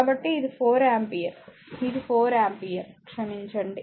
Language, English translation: Telugu, So, it is 4 ampere right, it is4 ampere sorry right